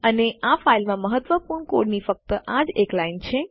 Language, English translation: Gujarati, And that is the only line of significant code in this file